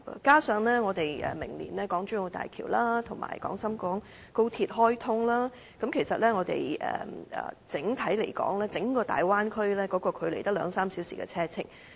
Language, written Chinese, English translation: Cantonese, 加上我們明年港珠澳大橋及港深廣高速鐵路開通，我們與整個大灣區的距離只有兩三小時車程。, Besides with the commissioning of the Hong Kong - Zhuhai - Macao Bridge and the Guangzhou - Shenzhen - Hong Kong Express Rail Link next year the travelling time between Hong Kong and the Bay Area will only be two to three hours